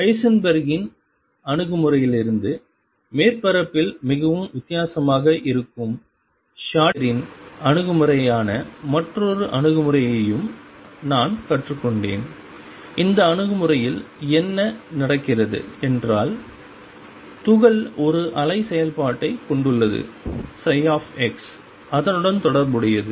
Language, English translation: Tamil, I we have also learnt another approach which is Schrodinger’s approach which is very, very different on the surface from Heisenberg’s approach, and what happens in this approach is the particle has a wave function psi x associated with it